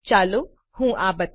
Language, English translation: Gujarati, Let me show this to you